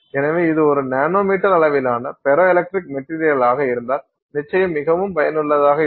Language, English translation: Tamil, So then if it is a nanometer sized ferroelectric material that is certainly very useful